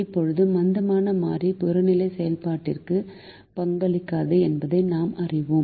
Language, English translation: Tamil, now we know that the slack variables do not contribute to the objective function